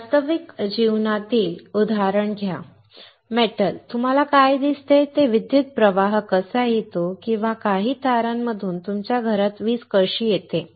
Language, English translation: Marathi, Always take a real life example, metal, what you see right how the current comes or how the power comes to your home through some wires